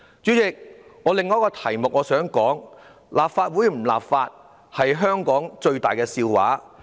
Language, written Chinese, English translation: Cantonese, 主席，我想談的另一個議題是：立法會不立法是香港最大的笑話。, Chairman I want to discuss another issue it is the greatest joke of Hong Kong that the Legislative Council does not legislate